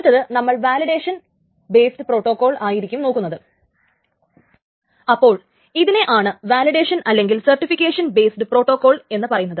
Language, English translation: Malayalam, So, this is called the validation or certification based protocol